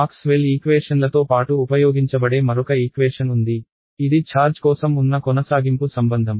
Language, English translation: Telugu, Then there is another equation which is used alongside Maxwell’s equations which is the continuity relation for charge